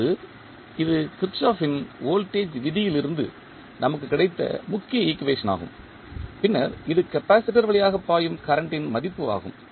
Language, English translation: Tamil, Now, the equations which we have got this main equation which we got from the Kirchhoff’s voltage law and then this is the value of current which is flowing through the capacitor